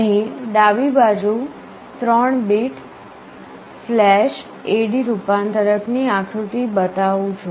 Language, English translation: Gujarati, Here on the left hand side I am showing the diagram of a 3 bit flash A/D converter